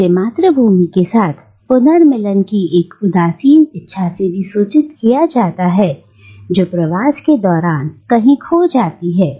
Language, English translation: Hindi, And it is also informed by a nostalgic desire to reunite with the homeland that has been lost during the migration